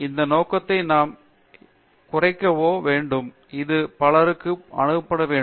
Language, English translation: Tamil, We have to load or narrow down this scope, so that it should be accessible to many people